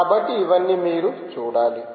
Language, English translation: Telugu, so all this you should see